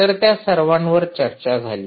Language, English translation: Marathi, so all of that was discussed, ah